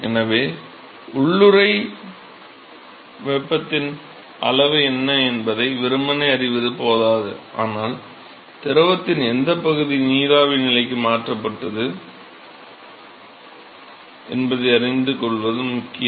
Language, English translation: Tamil, So, it is not enough to simply know what is the amount of latent heat, but it is also important to know what fraction of the fluid was converted to the vapor state